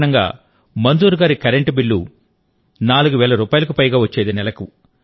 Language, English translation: Telugu, For this reason, Manzoorji's electricity bill also used to be more than Rs